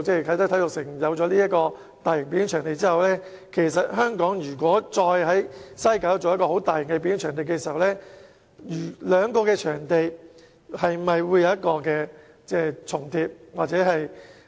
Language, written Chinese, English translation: Cantonese, 啟德體育園設立大型表演場地後，如果再在西九文化區建設大型表演場地，兩個場地是否會重疊？, After the building of a mega performance venue at the Kai Tak Sports Park will it be redundant to build another one in WKCD?